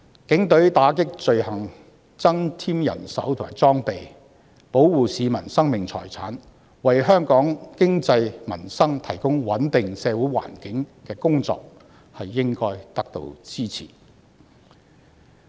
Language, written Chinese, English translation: Cantonese, 警隊為打擊罪行增添人手和裝備，保護市民的生命財產，為香港經濟及民生提供穩定的社會環境的工作，應該得到支持。, Any effort to enhance the manpower and equipment of the Police Force to combat crimes protect the lives and property of the public as well as provide a stable social environment for Hong Kongs economy and peoples livelihood should therefore be supported